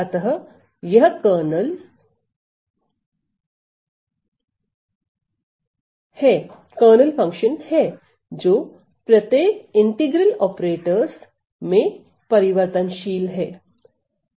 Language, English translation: Hindi, So, it is the kernel function that changes in each of these integral operators